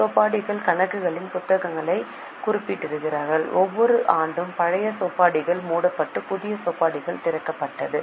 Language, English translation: Tamil, Chopis refer to the books of accounts and every year the old chopis were closed and new set of chopities were opened